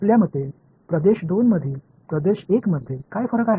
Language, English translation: Marathi, What differentiates region 1 from region 2 in your opinion